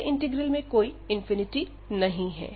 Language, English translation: Hindi, In the first integral, we have no infinity